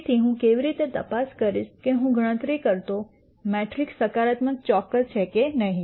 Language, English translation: Gujarati, So, how do I check if a matrix that I compute is positive definite or not